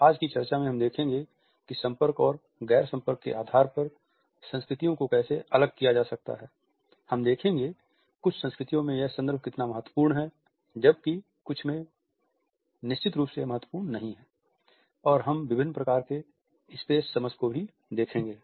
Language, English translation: Hindi, In today’s discussion we would look at how cultures can be differentiated on the basis of being contact and non contact, how context is important in certain cultures where as in certain it is not and also we would look at different types of space understanding